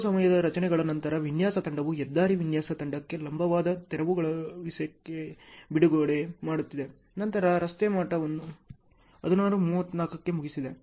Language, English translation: Kannada, Then after some time structures design team is releasing vertical clearance to the highway design team ok, then finished road level at 16 34